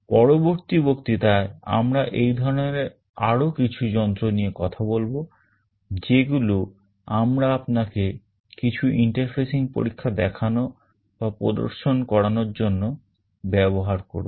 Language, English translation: Bengali, In the next lecture we shall be continuing with some more of these devices that we will be using to show you or demonstrate the interfacing experiments